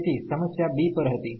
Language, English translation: Gujarati, So, the problem was at b